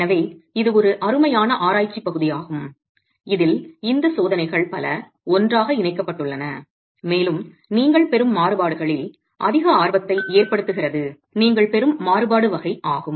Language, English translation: Tamil, So this is a fantastic piece of research where lot of these tests have been clubbed together and what is of immense interest is the kind of variability that you will get, the kind of variability that you will get